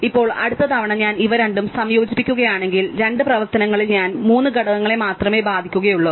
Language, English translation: Malayalam, Now, if the next time if I combine these two, then totally in two operations I only affect three elements